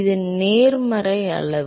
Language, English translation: Tamil, it is the positive quantity